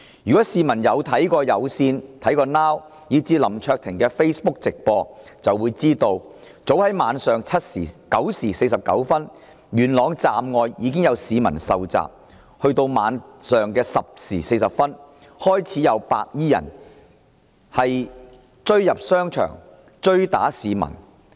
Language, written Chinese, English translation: Cantonese, 如果市民曾收看有線電視、Now TV， 以至林卓廷議員的 Facebook 直播，便會知道早於當日晚上9時49分，元朗站外已有市民遇襲，及至晚上10時40分便開始有白衣人闖入商場追打市民。, Anyone who has viewed the Facebook live stream footages of i - Cable Now TV and also Mr LAM Cheuk - ting will know that a number of people were already assaulted outside Yuen Long Station as early as 9col49 pm that day and white - clad gangsters forced their way into a shopping mall at 10col40 pm and began to chase after people and beat them up